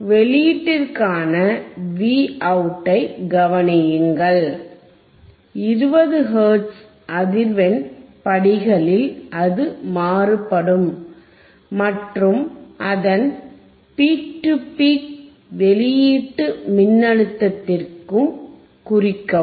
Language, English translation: Tamil, Observe the output V out here we have to observe what is the value of V out for varying frequency at the steps of 20 hertz and note down its is peak to peak output voltage peaks to peak output voltage